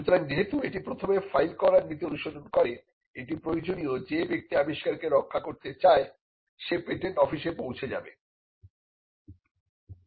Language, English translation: Bengali, So, because it follows the first to file in principle it is necessary that a person who wants to protect his invention approaches the patent office